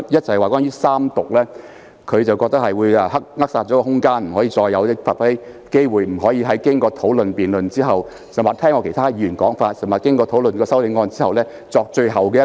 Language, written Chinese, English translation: Cantonese, 首先關於三讀的安排，他認為會扼殺空間，令議員再無發揮機會，不能在經過討論和辯論或聽畢其他議員發言，以及在討論修正案後，作出最後的陳述。, First of all in respect of the Third Reading arrangement he thinks that it will stifle the room for deliberation so that Members will be deprived of the opportunity to make final remarks after discussion and debate or after listening to other Members speeches and after discussion of the amendments